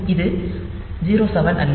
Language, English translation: Tamil, So, this is not 0 7